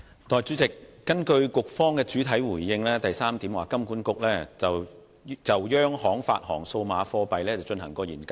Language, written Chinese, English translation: Cantonese, 代理主席，根據局方的主體答覆第三部分所述："金管局有就央行發行數碼貨幣進行研究......, Deputy President in part 3 of the main reply the Secretary says HKMA has carried out research on CBDC HKMA has no plan to issue CBDC at this stage but will continue to monitor the international development